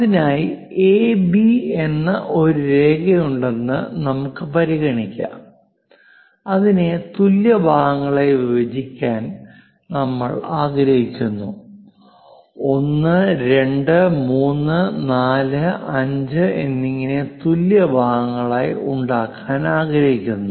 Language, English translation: Malayalam, So, let us consider there is a line AB, and we would like to divide that into equal segments; perhaps 1, 2, 3, 4, 5 equal segments we would like to construct